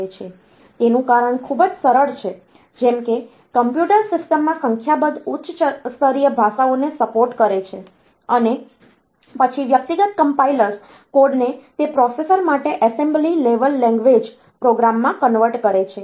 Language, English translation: Gujarati, The reason is very simple like in a computer system if I have got if I support a number of high level languages, and then individual compilers they can convert to the assembly level language program for that for that processor